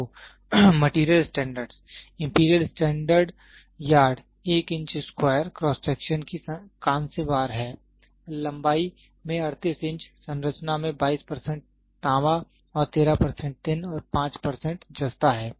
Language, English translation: Hindi, So, material standards, the imperial standard yard is a bronze bar of 1 square inch in cross section and 38 inches in length having a composition of 82 percent of copper and 13 percent of tin and 5 percent of zinc